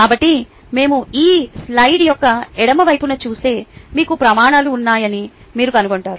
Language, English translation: Telugu, so if we look at on the left hand side of this ah, ah, um, on the slide you would findthere are criterias, the criteria you